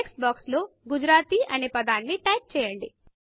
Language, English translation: Telugu, In the textbox, type the word Gujarati